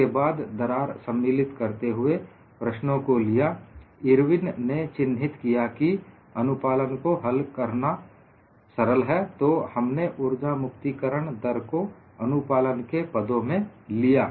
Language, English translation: Hindi, Then, for the problems involving crack, Irwin pointed out compliance is easier to handle; so, we also got the energy release rate in terms of compliance